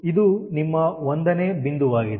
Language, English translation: Kannada, so this is your point one